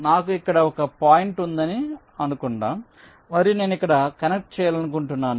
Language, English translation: Telugu, lets say i have a point here and i have a point here which i want to connect